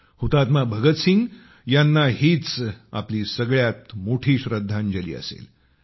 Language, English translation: Marathi, That would be our biggest tribute to Shahid Bhagat Singh